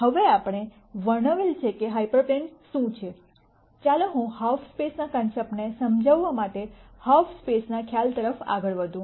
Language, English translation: Gujarati, Now that we have described what a hyper plane is, let me move on to the concept of half space to explain the concept of half space